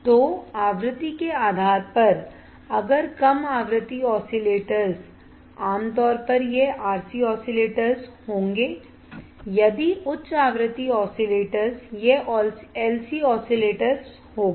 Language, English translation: Hindi, So, based on frequency if the low frequency oscillator generally it will be RC oscillators if the high frequency oscillators it would be LC oscillators